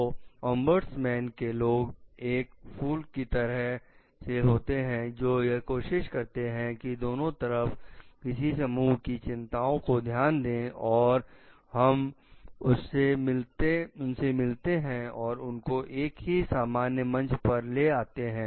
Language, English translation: Hindi, So, ombudsman people are like the bridge in between which tries to like take the concern of both the parties together, we meet them like put them collectively in a common platform